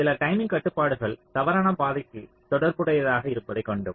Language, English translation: Tamil, so we had seen that some of the timing constraints maybe corresponding to false path